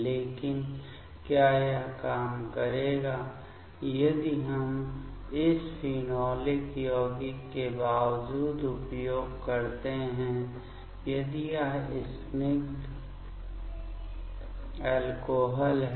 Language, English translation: Hindi, But, will it work if we use in spite of this phenolic compound if it is aliphatic alcohol